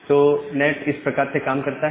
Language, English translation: Hindi, That is the way NAT works